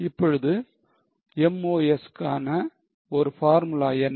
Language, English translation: Tamil, Now what is a formula of MOS